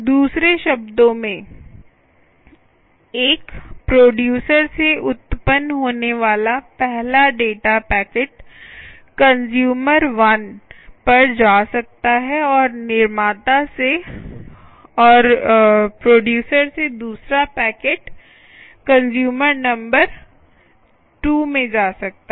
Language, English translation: Hindi, in other words, the first data packet that arise from a producer can go to consumer one and the second data packet from producer can go to consumer number two